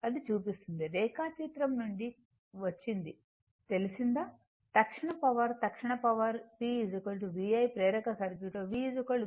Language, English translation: Telugu, This we show got it from phasor diagram the instantaneous power instantaneous power p is equal to v i